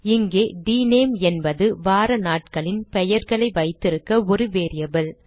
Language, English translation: Tamil, Here dName is a variable to hold the names of the days of a week